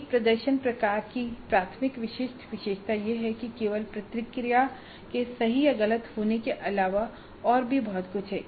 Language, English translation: Hindi, The primary distinguishing feature of a performance type is that there is more than merely the response being correct or not correct